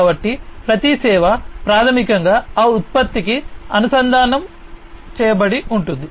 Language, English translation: Telugu, So, every service is basically linked to that product